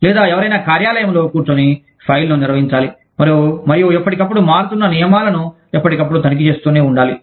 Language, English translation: Telugu, Or, somebody sitting in an office, has to maintain the file, and has to keep checking, the rules from time, which keep changing, from time to time